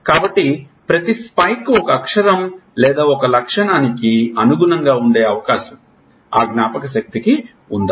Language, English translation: Telugu, So, is it possible that each spike corresponds to a letter or one feature of that memory